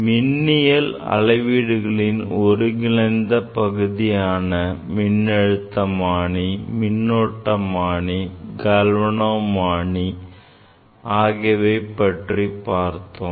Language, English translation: Tamil, We have seen that galvanometer, voltmeter and ammeter are the integral part of any electrical measurements